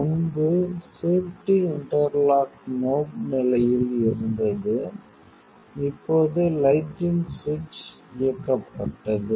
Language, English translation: Tamil, So, previously the safety interlock in knob condition, now the lighting switch is enabled